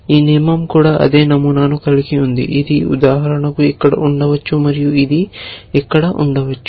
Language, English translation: Telugu, This rule also has a same pattern so, this one could be here for example, and this one could be here